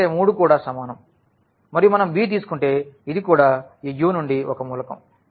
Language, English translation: Telugu, So, here this belongs to U because all three are equal and if we take b this is also an element from this U